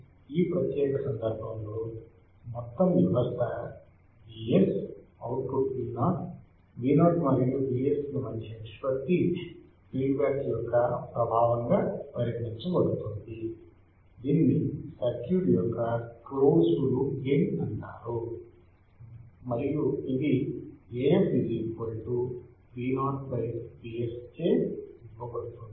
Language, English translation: Telugu, So, in this particular case, the overall system is V s, output V o the ratio of V o to V s is considered effect of feedback it is called the closed loop gain of the circuit; and it is given by A f equals to V o by V s